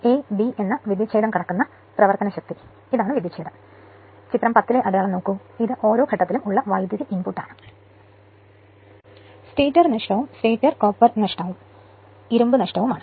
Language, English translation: Malayalam, So, in this case you are now this is the circuit; now the power crossing the terminals a b this is the terminal I told you look at the mark right in figure 10 is the electrical power input per phase minus the stator loss right that is stator copper loss and iron loss right